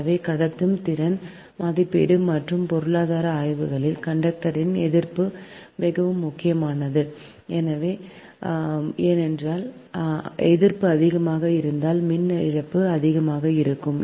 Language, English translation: Tamil, so resistance of the conductor is very important in transmission efficiency evaluation and economic studies, because if resistance is more, then power loss will be more